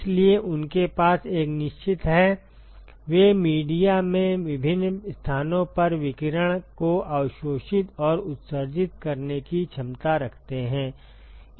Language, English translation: Hindi, So, they have a definite, they have the ability to absorb and emit radiation at different locations in the media